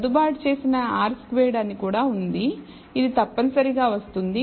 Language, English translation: Telugu, There is also something called adjusted r squared, which will come across which is essentially this